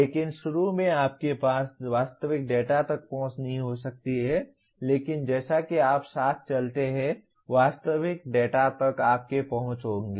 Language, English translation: Hindi, But initially you may not have access to actual data but as you go along you will have access to the actual data